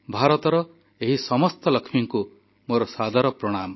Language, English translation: Odia, I respectfully salute all the Lakshmis of India